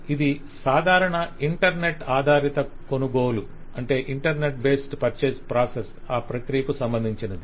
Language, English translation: Telugu, This is just an example of a typical internet based purchased process